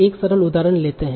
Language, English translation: Hindi, Let us take a simple example